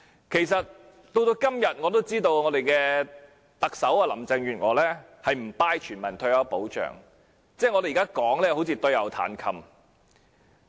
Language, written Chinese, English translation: Cantonese, 其實，我也知道特首林鄭月娥至今仍不支持全民退休保障，我們現在說甚麼都仿如對牛彈琴。, In fact I know that to date Chief Executive Carrie LAM still does not support universal retirement protection . No matter what we are saying now it is like playing the lute to a cow